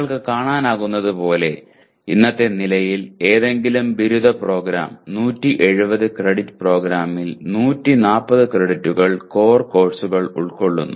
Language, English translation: Malayalam, As you can see as of today, the core courses constitute almost 140 credits out of 170 credit program, any undergraduate program